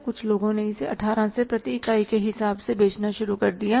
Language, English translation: Hindi, Some of the people have started selling it at 18 rupees per unit